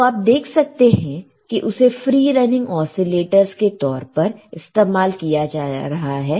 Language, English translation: Hindi, You as you see that it is used as free running oscillators